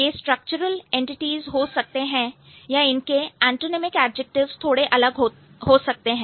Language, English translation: Hindi, That could be the structural entities or the antenaumic adjectives could be a little different